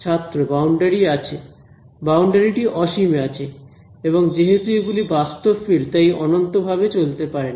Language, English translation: Bengali, The boundary has is at infinity and because this is physical field it cannot go on forever